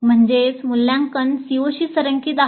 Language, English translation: Marathi, That means assessment is in alignment with the COs